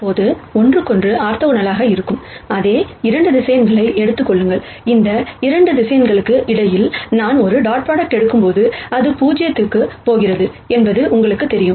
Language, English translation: Tamil, Now, take the same 2 vectors, which are orthogonal to each other and you know that, when I take a dot product between these 2 vectors it is going to go to 0